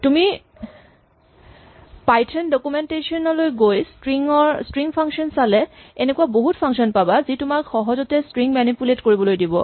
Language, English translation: Assamese, But you can look at the Python documentation look under string functions and you will find a whole host of useful utilities which allow you to easily manipulate strings